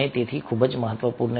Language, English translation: Gujarati, so this is very, very important